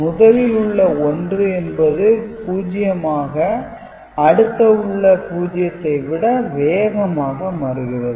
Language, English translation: Tamil, So, 1 this 1 is changing faster than the 0 that is suppose to change to 1